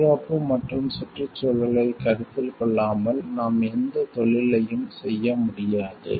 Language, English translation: Tamil, We cannot do any business without taking the safety and environmental considerations